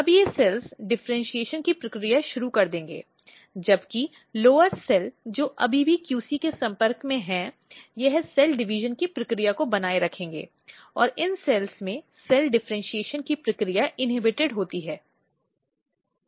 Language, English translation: Hindi, Now, these cells will start the process of differentiation, whereas the lower cell which still remains in contact with the QC, it will retain the process of cell division and process of cell differentiation is inhibited in these cells